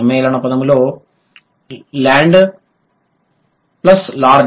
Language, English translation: Telugu, With compound word, land plus lord